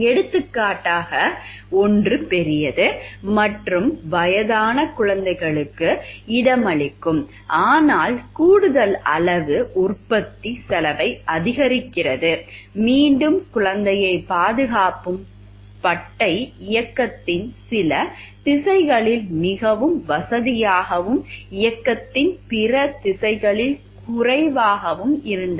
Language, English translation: Tamil, For example one was larger and would accommodate older infants but the added size increase the cost of manufacturing, again the bar securing the infant was more convenient in some directions of motion and less convenient in other directions of motion